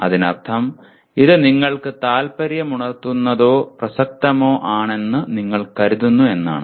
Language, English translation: Malayalam, That means you consider it is interesting or of relevance to you and so on